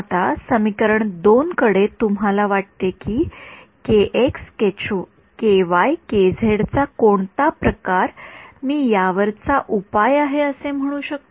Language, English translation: Marathi, Now, looking at equation 2, what form of k x, k y, k z do you think I can say is a solution to this